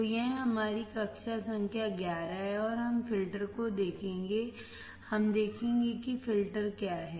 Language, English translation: Hindi, So, this is our class number 11; and we will look at the filters, we will see what are the filters